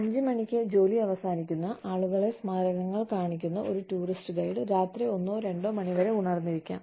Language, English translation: Malayalam, A tourist guide, showing people, monuments, that shut down at 5 o'clock, may be, able to stay awake, till one or two in the night